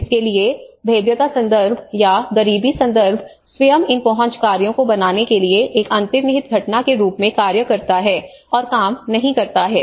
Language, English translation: Hindi, So vulnerability context itself or the poverty context itself acts as an underlying phenomenon on to making these access work and do not work